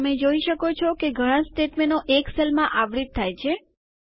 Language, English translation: Gujarati, You see that the multiple statements get wrapped in a single cell